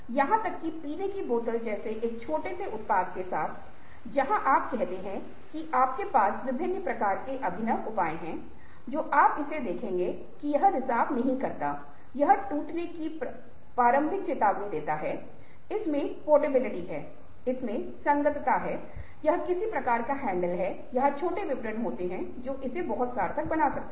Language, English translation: Hindi, in developing a product, the details of innovation, even with a small product like, ah, a drinking ah bottle, where you say that you have various kinds of innovative measures which you will see to it that it doesnt leak, it gives a early warning of breakage, ah, it has portability, it has compatibility, it has some kind of handle or small details which make it very, very meaningful